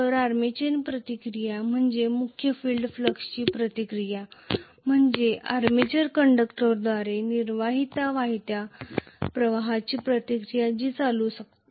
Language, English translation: Marathi, So, the armature reaction is the reaction of the main field flux to the flux produced by the armature conductors which are carrying current